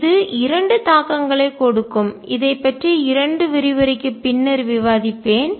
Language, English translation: Tamil, And this has implications which I will discuss a couple of lectures later